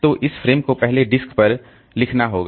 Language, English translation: Hindi, So, I don't have to write it back onto the disk